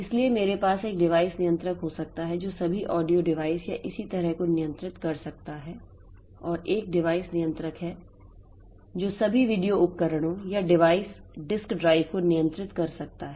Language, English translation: Hindi, So, I can have a single device controller that can control all the audio devices of similarly single device controller that can control all the video devices or disk drives so like that